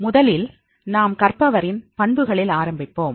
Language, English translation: Tamil, First we will start with the learners characteristics